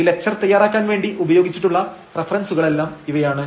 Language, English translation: Malayalam, So, these are the references used for the preparation of this lecture